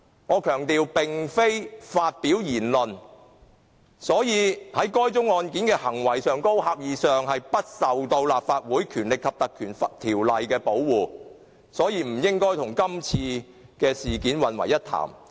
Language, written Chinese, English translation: Cantonese, 我強調，該案件並非涉及言論，是關乎行為，狹義上不受《立法會條例》的保護，所以不應該與今次事件混為一談。, I have to stress that particular incident involved not speech but deed which is not protected by the Ordinance in the narrow sense . Therefore the two incidents should not be discussed in the same way